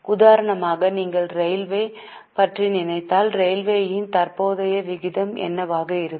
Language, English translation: Tamil, For example, if you think of railways, what will be the current ratio of railways